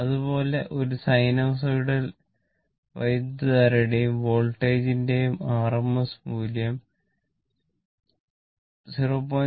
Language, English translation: Malayalam, Similarly, the rms value of a sinusoidal current and voltage both are multiplied by 0